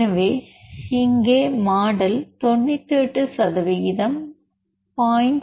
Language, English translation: Tamil, So, here the model was built with 98 percent 0